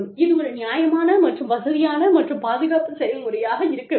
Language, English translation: Tamil, And, this should be a fair, and comfortable, and safe process